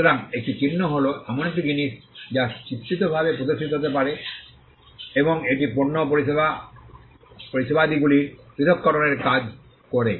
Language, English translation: Bengali, So, a mark is something that can be graphically indicated represented graphically, and it does the function of distinguishing goods and services